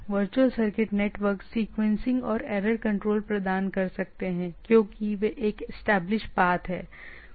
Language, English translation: Hindi, Virtual circuit network can provide sequencing and error control, as they are having a establish path